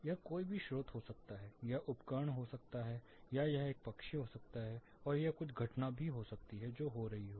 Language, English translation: Hindi, It can be any source, it can be equipment, it can be a bird, and it can be some event which is happening